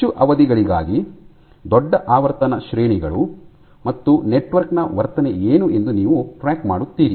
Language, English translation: Kannada, So, for large durations large frequency ranges and you track what is the behavior of the network